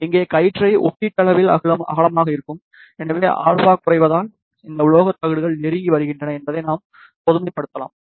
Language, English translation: Tamil, Here beam will be relatively broader, so we can generalize that as alpha decreases that means, these metallic plates are coming closer